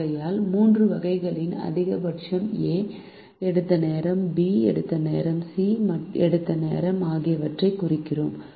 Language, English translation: Tamil, therefore, we minimize the maximum of the three times the time taken by a, the time taken by b and the time taken by c